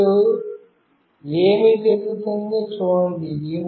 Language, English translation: Telugu, Now, see what has happened